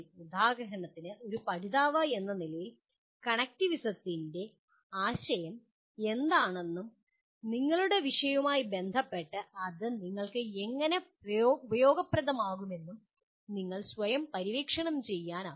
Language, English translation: Malayalam, for example as a learner, you yourself can explore what is this concept of connectivism and how it is going to be useful to you with respect to your subject